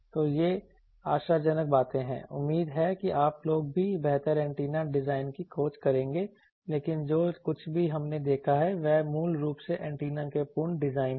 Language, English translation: Hindi, So, these are promising things, hopefully your people also will have better search antenna design, but basics whatever we have seen that absolute designed these type of antennas